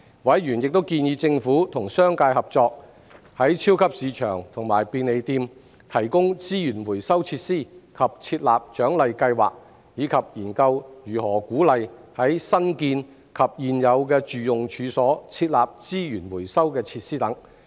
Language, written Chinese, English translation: Cantonese, 委員亦建議政府與商界合作，在超級市場和便利店提供資源回收設施及設立獎勵計劃，以及研究如何鼓勵在新建及現有住用處所設立資源回收設施等。, Members have also suggested that the Government collaborate with the business sector in the provision of resource recovery facilities in supermarkets and convenience stores and the introduction of reward schemes explore ways to encourage the setting up of resource recovery facilities in new and existing domestic premises and so on